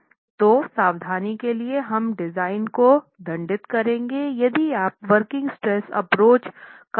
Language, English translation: Hindi, So, word of caution that these will penalize the design if you were to apply to a working stress approach